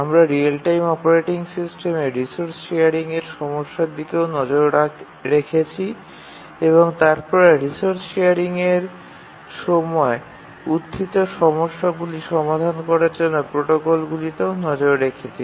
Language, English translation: Bengali, We had also looked at resource sharing problem in real time operating systems and we had looked at protocols to help solve the problems that arise during resource sharing